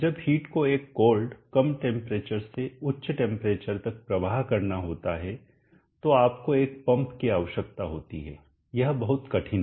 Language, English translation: Hindi, When heat has to flow from a cold, low temperature to high temperature you need a pump, it is much more difficult